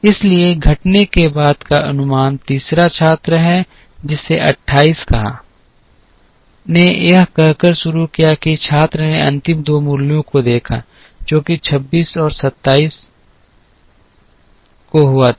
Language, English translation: Hindi, And so the estimate after the decrease happens to be the third student who said 28, started by saying that the student looked at the last 2 values, which happened to be 26 and 27